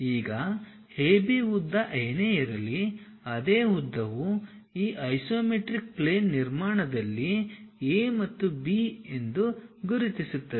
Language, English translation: Kannada, Now, whatever the length AB, the same length mark it as A and B on this isometric plane construction